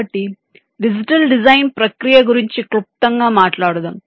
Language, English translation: Telugu, so lets briefly talk about the digital design process